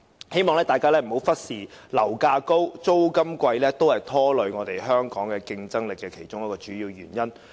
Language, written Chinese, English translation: Cantonese, 希望大家不要忽視，樓價高企、租金昂貴也是拖累香港競爭力的其中一個主要原因。, So I hope we will not overlook the fact that high property prices and rents are one of the major problems affecting Hong Kongs competitiveness . I will now return to the subject